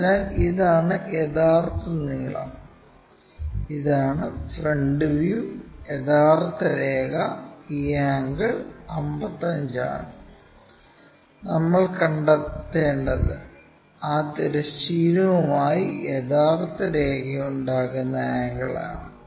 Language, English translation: Malayalam, So, this is true length and this is the front view, true line and this angle is 55 and what we have to find is the angle true line making in that horizontal thing